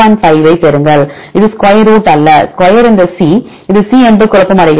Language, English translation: Tamil, 5 this is not square root right square this C is confuse this is C